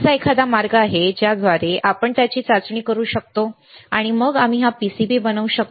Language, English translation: Marathi, Is there a way that we can test it, and then we make this PCB